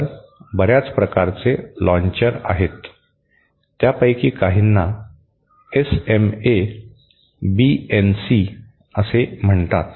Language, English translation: Marathi, So, there are several type of launchers, some of them are called SMA, BNC like this